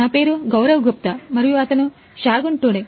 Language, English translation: Telugu, My name is Gaurav Gupta and he is Shagun Tudu